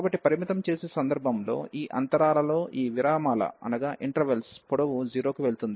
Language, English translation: Telugu, So, in the limiting case, when these intervals the length of these intervals are going to 0